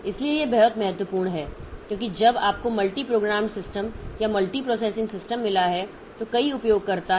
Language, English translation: Hindi, So, this is very important because but when you have got multi programmed system or multi processing system so multiple users are there